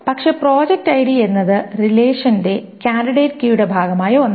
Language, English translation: Malayalam, But the project ID is something that is also part of the candidate key of this relationship